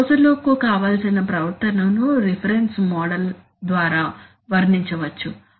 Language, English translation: Telugu, You have a closed loop desired behavior can be described by reference model